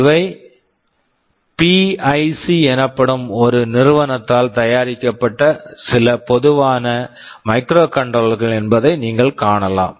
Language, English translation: Tamil, You can see these are some typical microcontrollers that are manufactured by a company called PIC